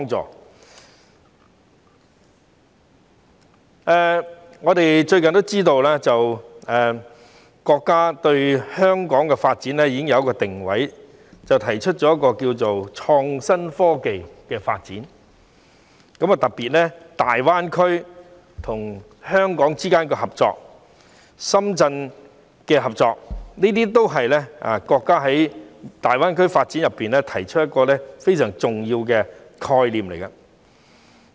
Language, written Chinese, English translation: Cantonese, 最近，我們都知道國家對香港的發展已經有一個定位，提出了一項名為創新科技的發展計劃，特別是加強香港與深圳、與大灣區之間的合作，這都是國家就大灣區發展中提出的一個非常重要的概念。, As we are cognizant the country has lately confirmed Hong Kongs positioning in the development . It has proposed an innovation and technology development plan under which the cooperation between Hong Kong and Shenzhen as well as between Hong Kong and the Guangdong - Hong Kong - Macao Greater Bay Area GBA will be enhanced . This is a very significant concept proposed by the country for the development of GBA